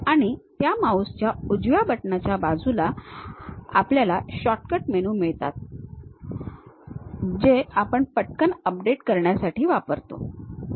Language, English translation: Marathi, And the right side of that mouse button any shortcut menu which we will like to quickly update it we use that